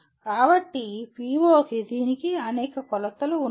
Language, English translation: Telugu, So there are several dimensions to this, to this PO